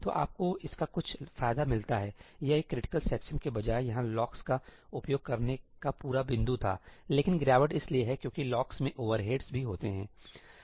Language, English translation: Hindi, So, you get some advantage out of that; that was the whole point of using locks here instead of a critical section, but the degradation is because locks also have overheads